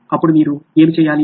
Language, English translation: Telugu, What do you have to do then